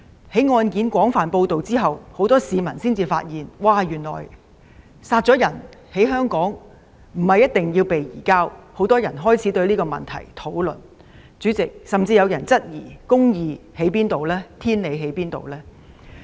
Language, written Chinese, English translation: Cantonese, 在案件被廣泛報道後，很多市民發現，原來兇手殺人後逃到香港，不一定會被移交，於是很多人開始討論這問題，甚至有人質疑公義何在，天理何在。, After the case has been widely reported many members of the public realize that if a murderer flees to Hong Kong after murdering somebody he may not necessarily be surrendered . Many people have started to discuss this issue; some even questioned the existence of justice